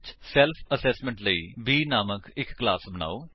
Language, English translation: Punjabi, For self assessment, create a class named B